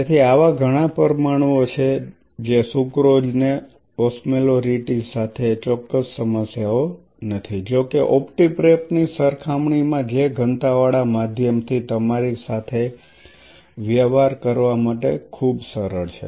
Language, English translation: Gujarati, So, there are several such molecules which will not sucrose has certain issues with osmolarity though as compared to opti prep which is much easier to deal with you form a density gradient density gradient means